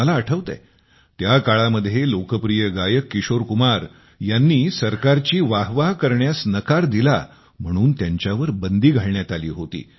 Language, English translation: Marathi, I remember when famous singer Kishore Kumar refused to applaud the government, he was banned